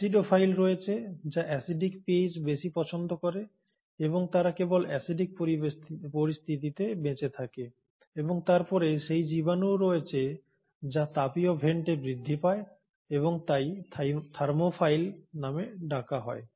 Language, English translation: Bengali, There are acidophiles, which love more of an acidic pH and they survive only under acidic conditions and then you have those microbes which are growing in thermal vents and hence are called as Thermophiles